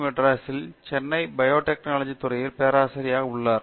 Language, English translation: Tamil, He is a Professor in the Department of Biotechnology, here at IIT, Madras